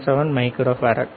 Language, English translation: Tamil, 77 micro farad